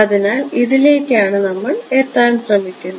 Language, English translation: Malayalam, So, we are that is what we are trying to arrive at